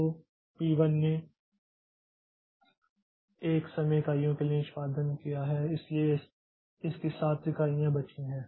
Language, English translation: Hindi, So, p 1 has executed for 1 time unit so it has got 7 units less left